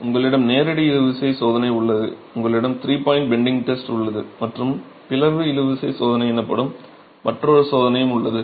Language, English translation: Tamil, You have the direct tension test, you have the three point bending test and you also have another test called the split tension test